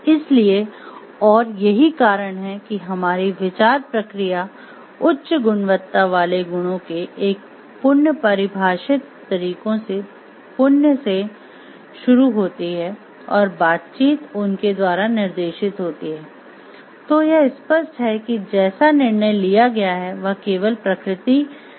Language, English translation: Hindi, So, and that is why because our thought process starts with virtuous in a virtuous defined ways of high quality virtues and the interactions are guided by them, then it is evident like the decision taken will be ethical in nature only